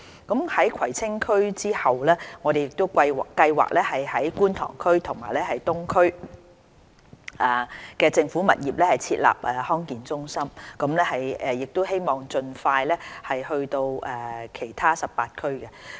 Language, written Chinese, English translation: Cantonese, 在葵青區之後，我們計劃於觀塘及東區的政府物業設立康健中心，並希望盡快擴展至全港18區。, Apart from Kwai Tsing we plan to set up Health Centres in government properties in Kwun Tong and the Eastern District and hopefully extend the service to the rest of the 18 districts in Hong Kong